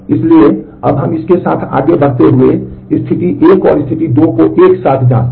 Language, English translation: Hindi, So, moving on with that now next we check condition 1 and condition 2 together